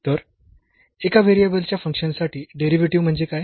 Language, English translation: Marathi, So, what is derivative for a function of single variable